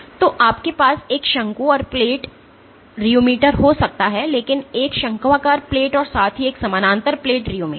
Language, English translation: Hindi, So, you can have a cone and plate rheometer, but a conical play as well as a parallel plate rheometer